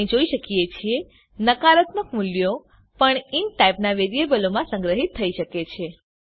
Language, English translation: Gujarati, As we can see, even negative values can be stored in variables of the type int